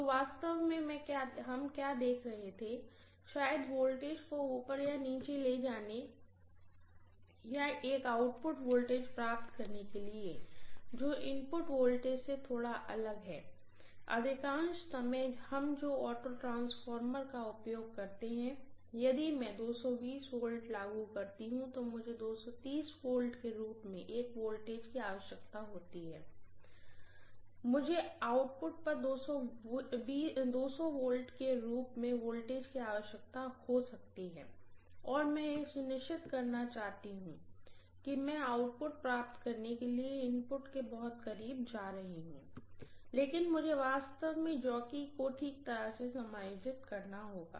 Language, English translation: Hindi, So what were actually looking at is, maybe to step up or step down the voltage or obtain an output voltage which is slightly different from the input voltage, most of the times what we use the auto transformer for is if I am applying 220 volts I may require a voltage as 230 or I may require a voltage as 200 at the output, and I want to make sure that very close to the input I am going to obtain the output, but I will be able to make the fine adjustments by actually moving the jockey point